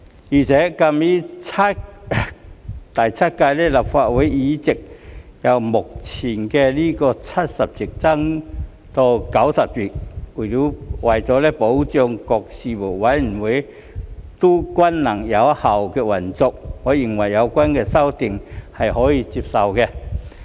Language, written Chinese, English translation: Cantonese, 而且鑒於第七屆立法會的議席將會由目前的70席增至90席，為了保障各事務委員會均能有效率地運作，我認為有關修訂是可以接受的。, Moreover since the number of seats in the Seventh Legislative Council will increase from the current 70 to 90 I find these amendments acceptable in order to ensure the efficient operation of all Panels